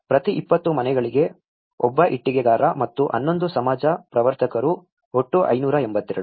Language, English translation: Kannada, One bricklayer for each 20 houses and 11 social promoters in total of the whole 582